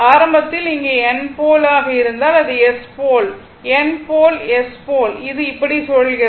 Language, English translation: Tamil, Suppose, if you have here it is N pole here, it is S pole, N pole, S pole and it is revolving like this, it is revolving like this